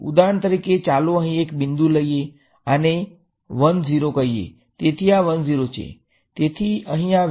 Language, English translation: Gujarati, Now let us takes one point over here